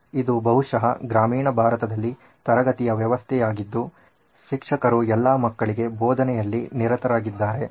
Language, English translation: Kannada, This is a classroom setup probably in rural India and the teacher is busy teaching to all the children